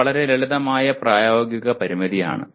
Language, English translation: Malayalam, It is a very simple practical constraint